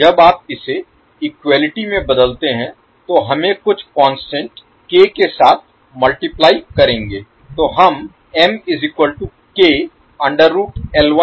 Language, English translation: Hindi, So when you converted into equality, let us multiply with some constant k